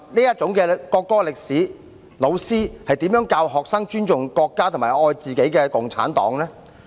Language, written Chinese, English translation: Cantonese, 有這樣的國歌歷史，老師要如何教學生尊重國家，熱愛共產黨呢？, Given such a history of the national anthem how should teachers teach students to respect the nation and love the Communist Party?